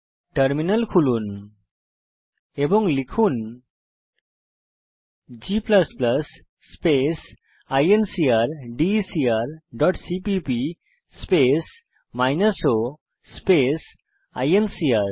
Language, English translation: Bengali, Open the terminal and type g++ space incrdecr dot cpp space minus o space incr